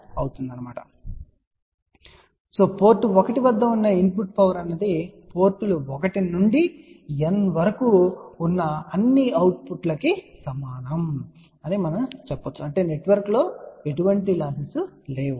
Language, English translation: Telugu, So, we can say that the input power at port 1 is equal to sum of all the power outputs at ports 1 to N so that means, there are no losses within the network